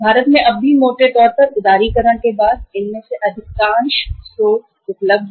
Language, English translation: Hindi, In India also largely now after liberalization most of these sources are available